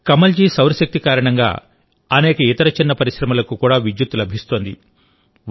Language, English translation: Telugu, Kamalji is also connecting many other small industries with solar electricity